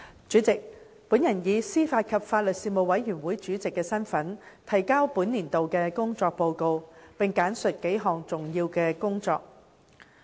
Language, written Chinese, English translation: Cantonese, 主席，我以司法及法律事務委員會主席身份，提交本年度的工作報告，並簡述數項重點工作。, President in my capacity as Chairman of the Panel on Administration of Justice and Legal Services the Panel I now submit the Report on the work of the Panel for this year and I will give a brief account of several major items of its work